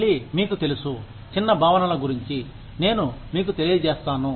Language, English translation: Telugu, Again, you know, I will just make you aware, of the small concepts